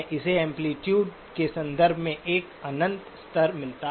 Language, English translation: Hindi, It has got an infinite levels in terms of amplitude